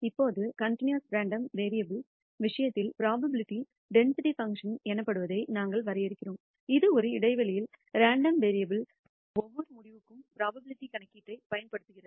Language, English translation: Tamil, Now, in the case of a continuous random variable, we define what is known as a probability density function, which can be used to compute the probability for every outcome of the random variable within an interval